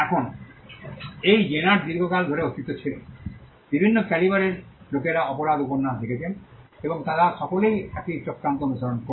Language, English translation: Bengali, Now, this genre has been in existence for a long time, people of different calibers have written crime novels and they all follow the same plot